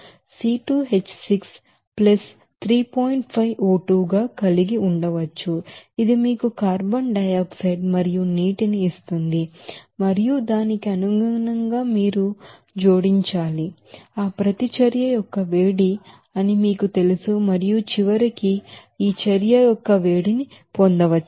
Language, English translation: Telugu, 5O2, which will give you that carbon dioxide and water and accordingly then you have to add this you know that is heat of reaction and finally you can get this you know this heat of reaction like this